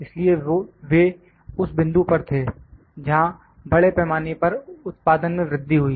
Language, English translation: Hindi, So, that was at that point, there was a rise in mass production